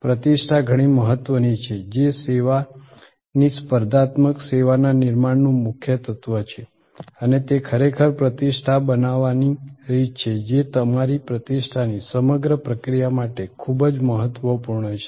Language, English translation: Gujarati, There reputation matters a lot that is a core element of building the service competitive service and they are actually the way to build reputation media word of mouth very impotent the whole process of building your reputations